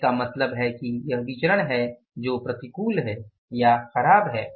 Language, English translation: Hindi, So, it means this is a variance which is adverse or which is unfavorable